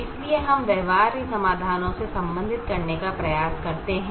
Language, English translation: Hindi, so we tried to relate the feasible solutions